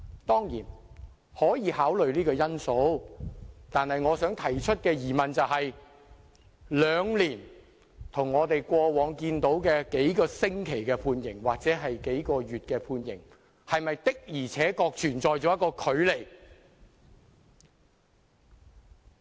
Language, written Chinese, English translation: Cantonese, "當然，可以考慮這個因素，但我想提出的疑問是，兩年的判期，跟過往案例的幾個星期或幾個月的刑期相比，是否的確存在距離？, Obviously this factor can be taken into consideration but the question that I wish to ask is Is there indeed a gap between a two - year term of imprisonment and a sentence term of a few weeks or a few months handed down in past cases?